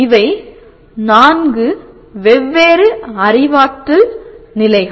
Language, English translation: Tamil, These are the four different cognitive levels we are concerned with